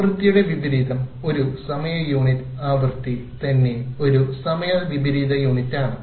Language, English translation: Malayalam, Frequency itself is a time inverse unit